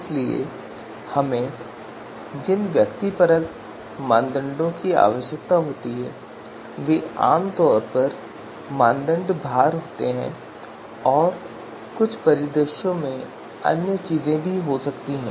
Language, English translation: Hindi, So subjective parameters that we require is typically criteria weights and in some scenarios there could be other things as well